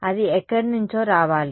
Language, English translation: Telugu, That has to come from somewhere